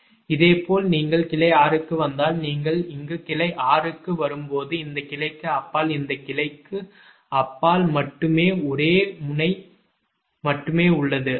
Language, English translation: Tamil, similarly, if you come to branch six, right, when you come to branch six here, right, this is the branch that only beyond this branch